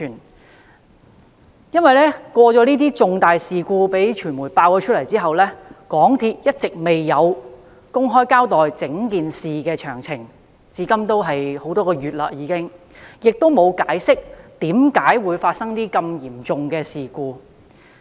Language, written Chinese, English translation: Cantonese, 在傳媒揭發這宗重大事故後，香港鐵路有限公司一直未有公開交代整件事件的詳情，至今已多月，但仍沒有解釋為何會發生如此嚴重的事故。, After the media has exposed this major incident the MTR Corporation Limited MTRCL has never made public the details of the entire incident . Neither has it explained the reasons causing such a serious incident despite the passage of several months